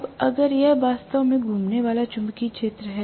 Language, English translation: Hindi, Now, if this is actually my permanent, the revolving magnetic field